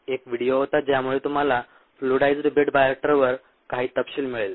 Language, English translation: Marathi, there was a video which lead you to ah some detail on the fluidized bed bioreactor